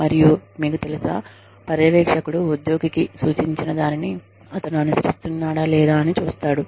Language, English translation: Telugu, And, you know, the supervisor sees whether, whatever was suggested to the employee, is being followed or not